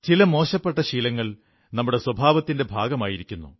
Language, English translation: Malayalam, These bad habits have become a part of our nature